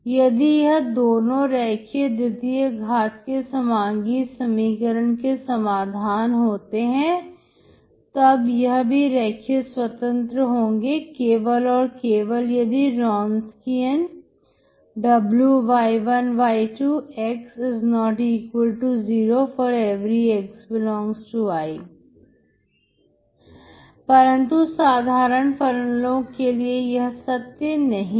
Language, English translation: Hindi, If they are solutions of the linear second order homogeneous equation, then they are linearly independent if and only if this Wronskian W ( y1, y2 ) ≠0,∀ x ∈ I